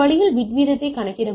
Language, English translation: Tamil, So, this way I can calculate the bit rate